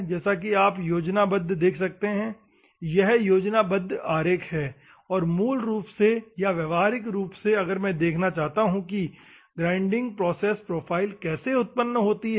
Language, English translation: Hindi, As you can see the schematic, this is the schematic diagrams and originally or practically if at all I want to see how the grinding process, profiles are generated